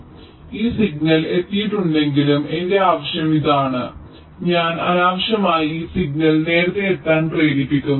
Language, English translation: Malayalam, so even if this signal has arrived means, my requirement is this: i am unnecessarily making this signal arrive earlier